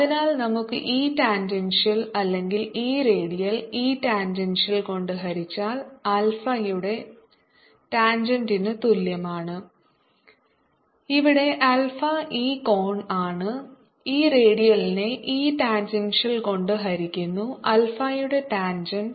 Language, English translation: Malayalam, so let us see now i have e tangential or e redial divided by e tangential is equal to tangent of alpha, where alpha is this angel, e radial divided by e tangential tangent of alpha